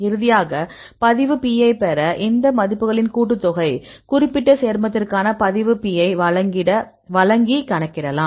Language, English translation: Tamil, And finally, to get the log P, the summation of all these values give you the log P for the particular compound; so you can calculate